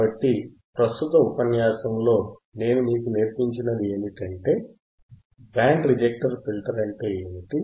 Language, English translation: Telugu, So, in the in the lecture right now, what I have taught you is, how we can, what is band reject filter